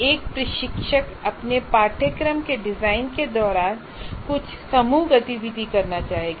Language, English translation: Hindi, For example, somewhere during your course design, you would want to introduce some group activity